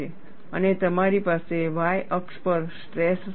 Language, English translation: Gujarati, And you have the stress levels on the y axis